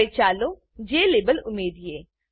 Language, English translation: Gujarati, Now let us add the Jlabel